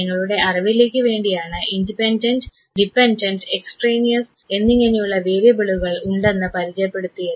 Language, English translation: Malayalam, But broadly for understanding we have the independent, the dependent and the extraneous variables